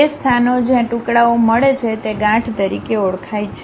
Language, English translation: Gujarati, The places where the pieces meet are known as knots